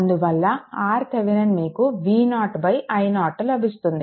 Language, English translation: Telugu, Therefore, R Thevenin you will get V 0 by i 0